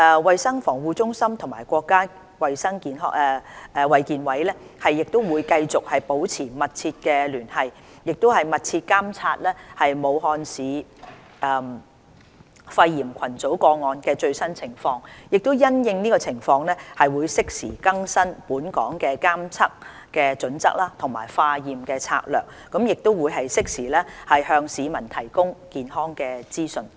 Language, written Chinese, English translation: Cantonese, 衞生防護中心與國家衞健委會繼續保持密切聯繫，密切監察武漢市肺炎群組個案的最新情況，因應情況適時更新本港的監測準則和化驗策略，並適時向市民提供健康資訊。, CHP will continue to maintain close liaison with NHC and closely monitor the latest development of the cluster of pneumonia cases in Wuhan . CHP will timely update the surveillance criteria and testing strategies in accordance with the latest situation and provide health information for the public in a timely manner